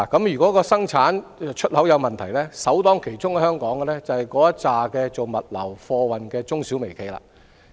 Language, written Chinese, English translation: Cantonese, 如果生產及出口有問題，首當其衝就是在香港經營物流及貨運業務的中小微企業。, If problems arise in production and export Hong Kongs micro - small - and medium - size enterprises MSMEs in the logistics and freight industries will be the first to take the brunt